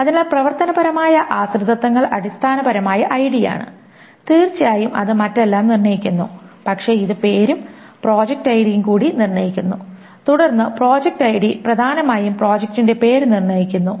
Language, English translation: Malayalam, So the functional dependencies are essentially ID, of course determines everything else, but it also determines name and project ID